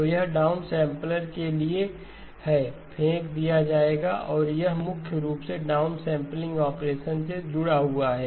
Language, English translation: Hindi, So that is for a down sampler, will be thrown away and that is primarily linked to the down sampling operation okay